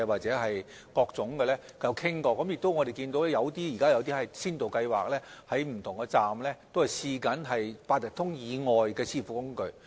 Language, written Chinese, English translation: Cantonese, 此外，我們現時亦有一些先導計劃，在不同車站試用八達通以外的支付工具。, Besides now we have some pilot schemes using means of payment other than Octopus at different stations on a trial basis